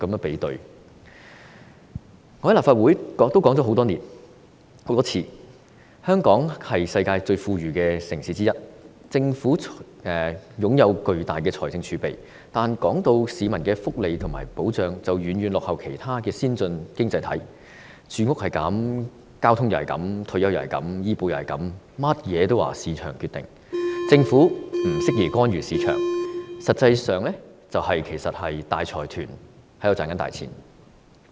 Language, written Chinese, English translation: Cantonese, 我在立法會已經多次提出，香港是世界上最富裕城市之一，政府坐擁龐大的財政儲備，但市民的福利和保障卻遠遠落後於其他先進經濟體，住屋如是、交通如是、退休如是、醫保如是，通通也說由市場決定，政府不適宜干預市場，實際上是讓大財團賺錢。, I have mentioned in the Legislative Council more than once that Hong Kong is one of the richest cities in the world . The Government has a huge fiscal reserve . But the welfare and protection of the people in terms of housing transport retirement and medical insurance lag far behind than those of other advanced economies